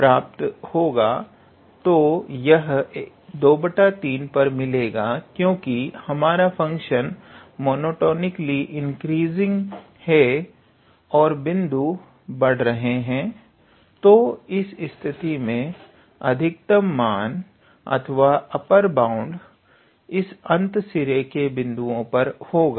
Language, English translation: Hindi, So, it will be attained at 2 by 3, because we have the function is a monotonically increasing and the points are increasing again, so in this case the maximum value or the upper bound will be attained at this end point